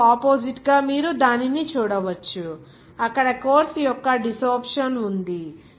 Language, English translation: Telugu, And oppositely you can see that, desorption of course there